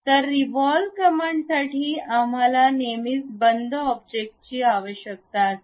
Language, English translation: Marathi, So, for revolve command we always require closed objects